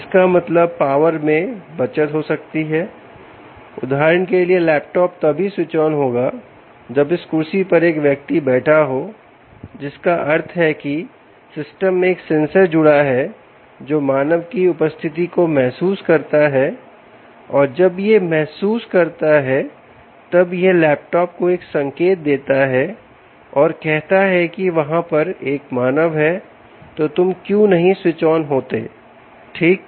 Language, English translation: Hindi, for instance, the laptop switches on only when the person sits on this chair, which means there is a sensor connected to the system which senses the presence of a human, and once it senses that, it gives a signal to the laptop and says: ok, now there is a human, why don't you switch on